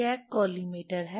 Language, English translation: Hindi, There is a collimator